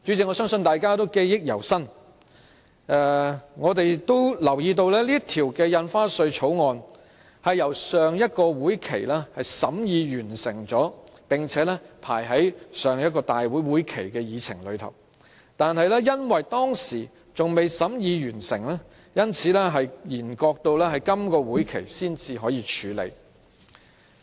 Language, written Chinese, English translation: Cantonese, 我相信大家仍然記憶猶新，並留意到《條例草案》已於上一個會期完成審議，亦已列為立法會會議的議程，但由於當時尚未完成審議，所以便延擱至今個會期才處理。, I think Members can still remember clearly and are aware that the scrutiny of the Amendment Bill was completed in the last session and it is now placed on the agenda of the Legislative Council meeting . However since the examination of the Amendment Bill had yet to finish it was deferred to this session